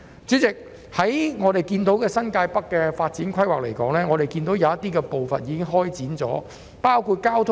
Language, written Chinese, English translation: Cantonese, 主席，新界北的發展規劃有些部分已經展開，包括交通設施。, President the development plan of New Territories North has partially commenced which includes the provision of transport facilities